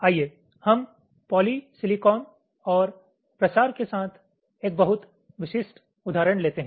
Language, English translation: Hindi, lets take a very specific example with polysilicon and diffusion